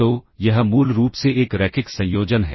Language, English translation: Hindi, So, this is basically a linear combination, ok